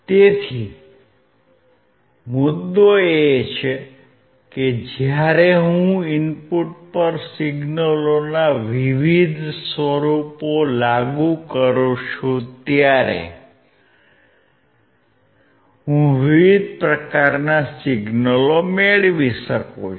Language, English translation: Gujarati, So, the point is that I can get different form of signals when I apply different form of signals at the input